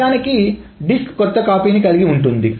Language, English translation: Telugu, So actually the disk contains the new copy